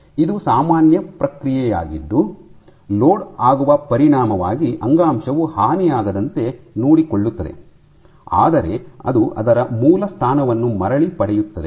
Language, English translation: Kannada, So, this is and a normal process which ensures that the tissue does not get damaged as a consequence of loading, but it regains it is original position